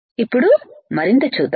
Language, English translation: Telugu, Now let us see further